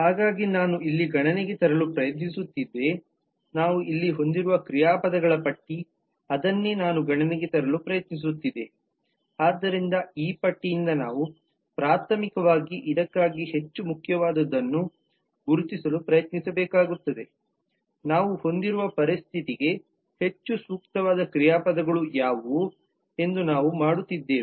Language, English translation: Kannada, so that is what i was trying to point out here that is what i was trying to point out in terms of the list of verbs that we have here so from this list we will need to try to primarily identify in a manner that we were doing as to what are the more important, more relevant verbs for the situation that we have